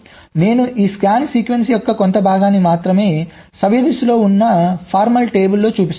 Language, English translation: Telugu, i am showing only a part of this scan sequence in the formal table with the clockwise